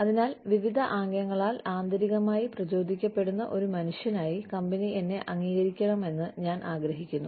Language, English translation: Malayalam, So, I want the company, to acknowledge me, as a human being, who feels intrinsically motivated, by various gestures